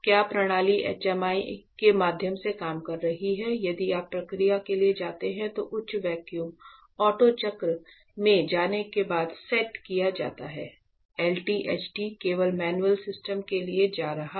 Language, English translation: Hindi, This is the system that will be operating through HMI; this is set after up to high vacuum is going to auto cycle if you go for process LTHT going for an only manual system